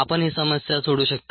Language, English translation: Marathi, you can try this problem out